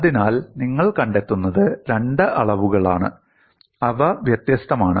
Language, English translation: Malayalam, So, what you find is there are two quantities, which are different